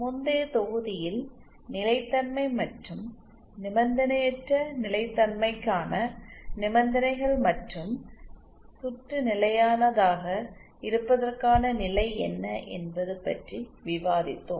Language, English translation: Tamil, In the previous module, we had discussed about stability and what are the conditions for unconditional stability and what is the condition for just keeping the circuit stable